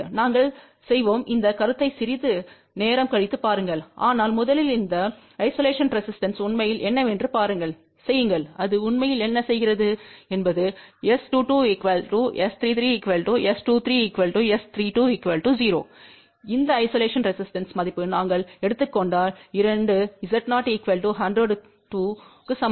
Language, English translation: Tamil, We will look at the concept little later on, but first just see what really this isolation resistance really do, what it actually does it makes S 2 2 equal to S 3 3 equal to S 2 3 equal to S 3 2 equal to 0 provided we take this isolation resistance value equal to 2 times Z 0 which is 100 ohm